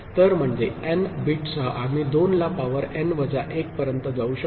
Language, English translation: Marathi, So, that is with n bit we can go up to 2 to the power n minus 1